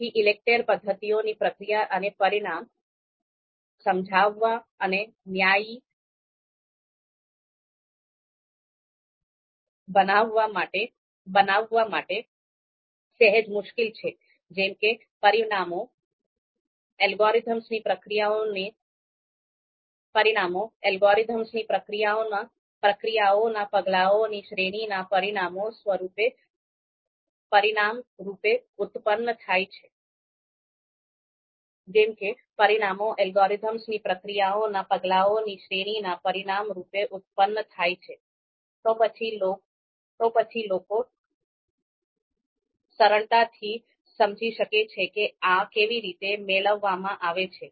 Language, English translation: Gujarati, Therefore, the process and outcomes of ELECTRE methods are slightly difficult to explain and justify because if the parameters are produced outcome of you know you know if they are produced as an outcome of a you know series of steps or processes or algorithm, then people can easily understand okay how these parameters are being derived or being deduced